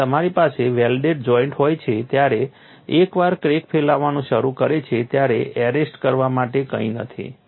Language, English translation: Gujarati, So, this was the difference when you have a welded joint once the crack starts propagating there is nothing to arrest